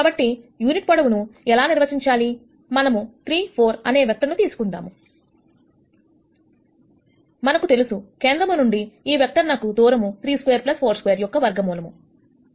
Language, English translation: Telugu, So, how do I de ne a unit vector, let us take this vector A 3 4, we know that the distance from the origin for this vector is root of 3 squared plus 4 squared is 5